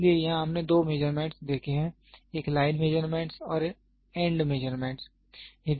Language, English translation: Hindi, So, here we have seen two measurements; one is line measurement and end measurement